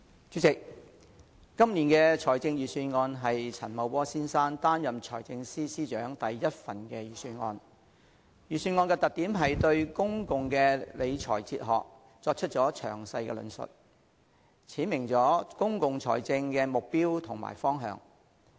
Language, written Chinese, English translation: Cantonese, 主席，今年的財政預算案是陳茂波先生擔任財政司司長的第一份預算案，預算案的特點是對公共理財哲學作出詳細的論述，闡明了公共財政的目標和方向。, President the Budget this year is the first Budget prepared by Mr Paul CHAN since he assumed the position of the Financial Secretary . It is characterized by a detailed explanation of the Governments philosophy of public finance management and a clear description of its objectives and directions